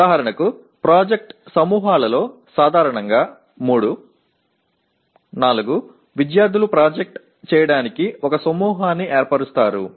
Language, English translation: Telugu, For example in project groups generally 3, 4 students form a group to do the project